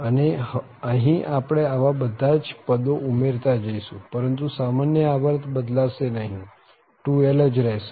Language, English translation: Gujarati, And now here we are keep on adding these terms but that common period will not change that will remain 2l itself